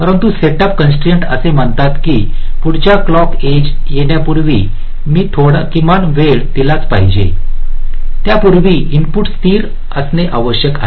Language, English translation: Marathi, but the setup constraints says that before the next clock edge comes, so i must be giving some minimum time before which the input must be stable